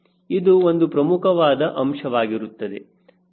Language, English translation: Kannada, this is another important